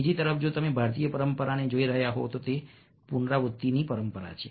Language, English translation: Gujarati, on the other hand, if you are looking at the indian tradition, it's a tradition of recurrence